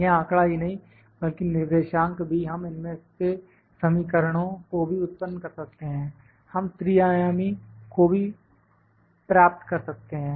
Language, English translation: Hindi, Not only this data, the coordinates we can also generate the equations out of them also we can obtain the three dimensional